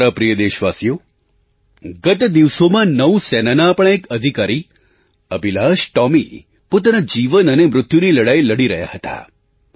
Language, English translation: Gujarati, My dear countrymen, a few days ago, Officer AbhilashTomy of our Navy was struggling between life and death